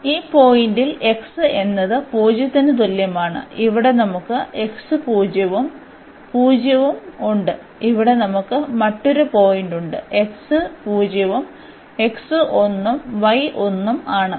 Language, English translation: Malayalam, So, here x is equal to 0 is this point, where we have x 0 and y 0, the another point we have here where the x is 0 and y is sorry x is 1 and y is 1